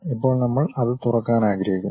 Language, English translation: Malayalam, Now, we would like to open it